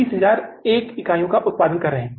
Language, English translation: Hindi, Now how much we are producing